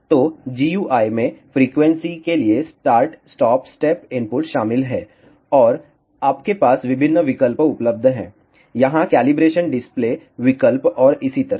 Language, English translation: Hindi, So, the GUI consists of start stop step input for frequency and you have various options available here calibration display options and so on